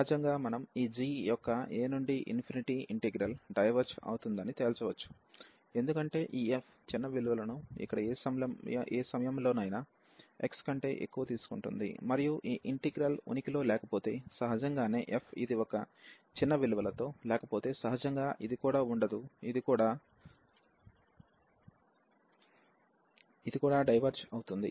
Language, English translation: Telugu, So, naturally we can conclude that the integral over a to infinity of this g will also diverge, because this f is taking the smaller values at any point x here greater than a; and if this integral exist, so naturally if it does not exist this f with a smaller values, then naturally this will also not exist this will also diverge